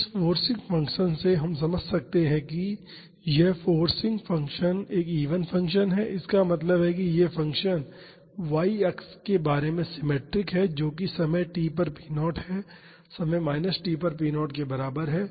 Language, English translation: Hindi, So, from this forcing function we can understand that, this forcing function is an even function; that means, this function is symmetric about the y axis that is p at time t is equal to p at the time minus t